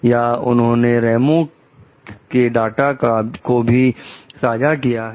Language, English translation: Hindi, Or they have shared with some like Ramos s data also